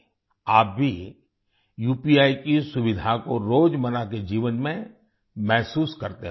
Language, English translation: Hindi, You must also feel the convenience of UPI in everyday life